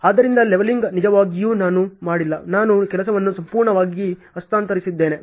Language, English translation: Kannada, So, the leveling really I have not done I have only shifted the work completely ok